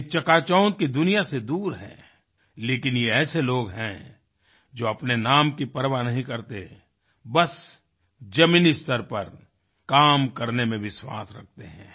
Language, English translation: Hindi, They are far removed from the world of glitter and glare, and are people who do not care about name or fame but simply believe in toiling at the proletarian level